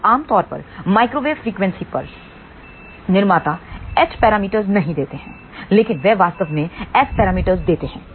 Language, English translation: Hindi, Now generally speaking a manufacturer at microwave frequency does not give h parameters, but it actually gives S parameter